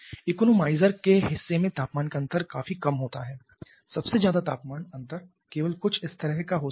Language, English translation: Hindi, In the economizer part the temperature difference is quite small the largest temperature difference can be only something like this